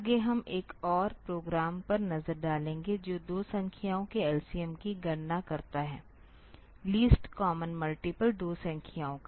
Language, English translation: Hindi, Next we will look into another program that computes the LCM of two numbers least common multiple of two numbers